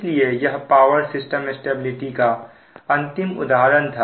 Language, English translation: Hindi, now for power system stability studies